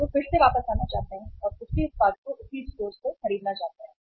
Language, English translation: Hindi, And they would like to again come back and to buy the same product from the same store